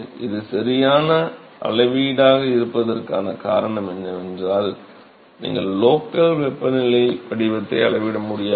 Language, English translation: Tamil, Reason why this is the correct measure is that you cannot measure the local temperature profile